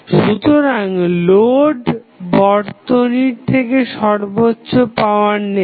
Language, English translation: Bengali, So, the load which will absorb maximum power from the circuit